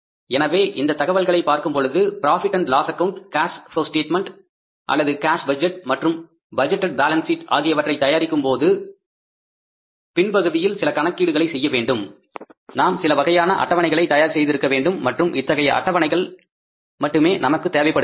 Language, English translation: Tamil, So, looking at this information and looking at the background work required to be done before preparing the profit and loss account cash flow statement or the cash budget and the budgeted balance sheet we had to prepare some of the schedules and now these are the only schedules required